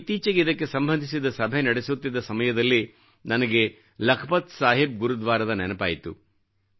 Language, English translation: Kannada, Recently, while holding a meeting in this regard I remembered about of Lakhpat Saheb Gurudwara